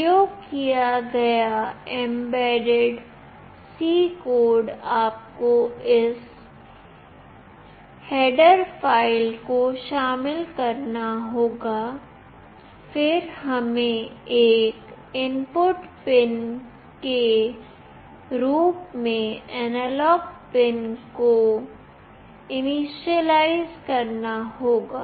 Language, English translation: Hindi, The mbed C code that is used, you have to include this header file then we have to initialize an analog pin as an input analog pin